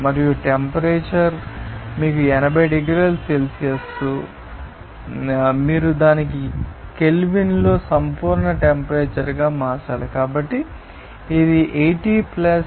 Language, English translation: Telugu, And the temperature is you know 80 degrees Celsius you have to convert it to absolute temperature in Kelvin, so, it would be 80 + 273